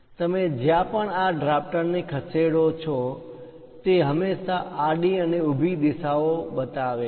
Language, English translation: Gujarati, Wherever you move this drafter, it always shows only horizontal and vertical directions